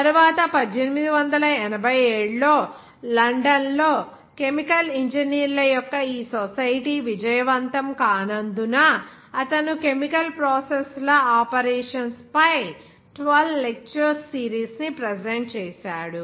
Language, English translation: Telugu, Later on, because of this unsuccessful formation of this society of chemical engineers in London in 1887, he presented a series of 12 lectures on the operation of chemical processes